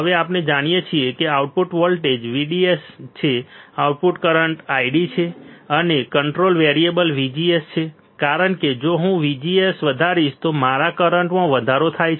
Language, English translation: Gujarati, Now we know that output voltage is VDS output current is I D, and control variable is VGS because if I keep on increasing VGS my current increases correct